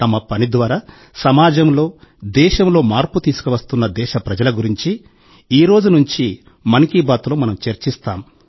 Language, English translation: Telugu, From today, once again, in ‘Mann Ki Baat’, we will talk about those countrymen who are bringing change in the society; in the country, through their endeavour